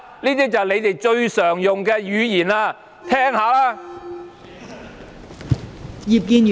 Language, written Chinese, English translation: Cantonese, "這便是你們最常用的語言，聽聽吧！, This is the kind of rhetoric you use frequently . Listen up!